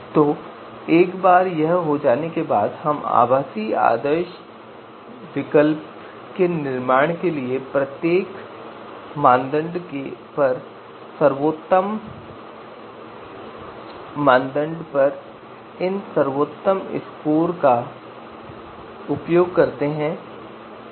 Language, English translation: Hindi, So once this is done then we use these best scores on each criterion you know to you know construct our virtual ideal alternative